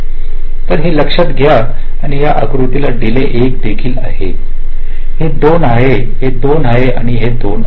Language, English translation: Marathi, so let us note this down and this diagram also: the delay of this is one, this is two, this is two and this is two